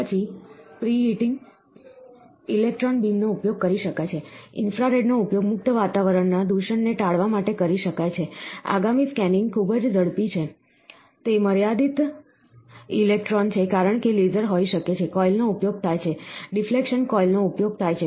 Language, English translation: Gujarati, Then pre preheating, use electron beam can be done, infrared can be used to avoid the contamination from the free atmosphere getting, next scanning speed very fast, it is limited electron because the laser can be, the coil is used, deflection coil is used so, it can scan at very high speeds